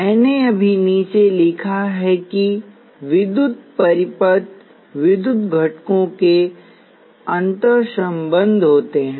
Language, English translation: Hindi, I have just put down that electrical circuits are interconnections of electrical components